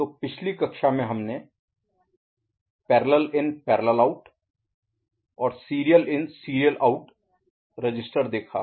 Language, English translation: Hindi, So, in the last class we have seen parallel in parallel output option for register as well as serial in and serial out ok